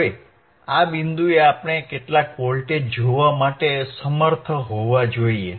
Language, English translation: Gujarati, Now, at this point we should be able to see some voltage